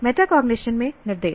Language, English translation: Hindi, That is what is metacognition